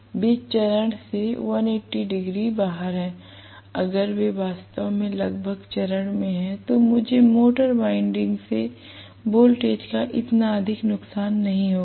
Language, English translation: Hindi, They are 180 degree out of phase, if they are actually in phase roughly, then I will not have so much of voltage being withstood by the motor winding